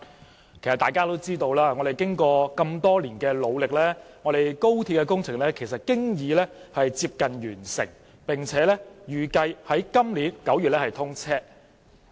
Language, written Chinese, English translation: Cantonese, 其實大家都知道，經過多年努力，廣深港高速鐵路工程已經接近完成，並預計於今年9月通車。, In fact we all know that after years of hard work the Guangzhou - Shenzhen - Hong Kong Express Rail Link XRL project is about to be completed and its commissioning is expected to be in September this year